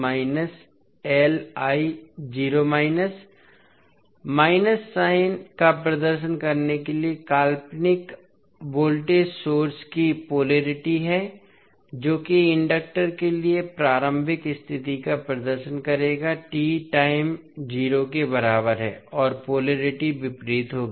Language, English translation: Hindi, The, to represent the minus sign the polarity of fictitious voltage source that is that will represent the initial condition for inductor will become l at time t is equal to 0 and the polarity will be opposite